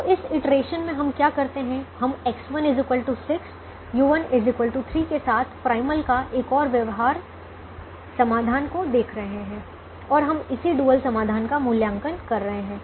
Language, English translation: Hindi, so again, what we do in this iteration is we are looking at another feasible solution to the primal with x one equal to six, u one equal to three and we are evaluating the corresponding dual solution